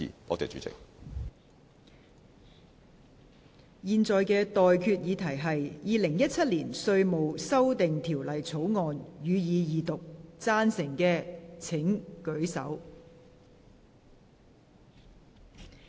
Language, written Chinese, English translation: Cantonese, 我現在向各位提出的待決議題是：《2017年稅務條例草案》，予以二讀。, I now put the question to you and that is That the Inland Revenue Amendment Bill 2017 be read the Second time